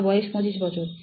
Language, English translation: Bengali, I am 25 years old